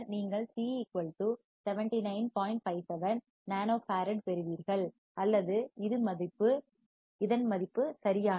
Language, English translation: Tamil, 57 nano farad or this is the value right